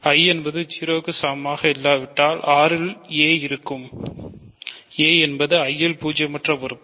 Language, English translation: Tamil, So, if I is not equal to 0 then there exists a in R, a in I rather which is non zero right